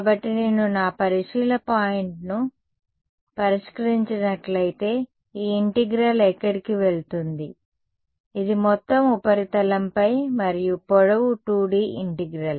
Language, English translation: Telugu, So, if I fix my observation point where is this integral going; it is going over the entire surface and length 2D integral fine